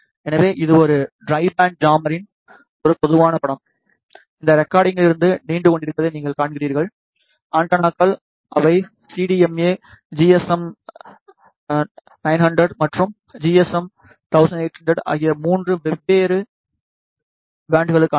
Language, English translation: Tamil, So, this is a typical image of a tri band jammer what you see protrading from this rectangle are the antennas, which are for 3 different bands which is CDMA GSM 900 and GSM 1800